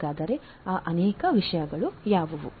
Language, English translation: Kannada, So, what are those many things